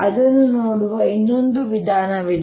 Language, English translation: Kannada, there is another way of looking at